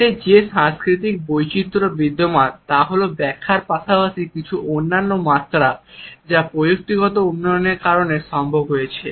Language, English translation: Bengali, The cultural variations which exist in it is interpretation as well as certain other dimensions which have become possible because of technological development